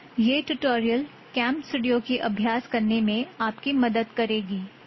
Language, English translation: Tamil, Yeh tutorial CamStudio ki abhyas karne mein aap ki madad karegi